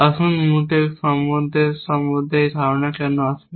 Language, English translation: Bengali, Let us, why this notion of Mutex relations will come